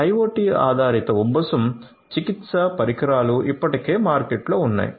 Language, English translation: Telugu, IoT based asthma treatment solutions are already in the market